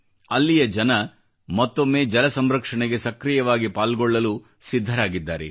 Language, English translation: Kannada, The people here, once again, are ready to play their active role in water conservation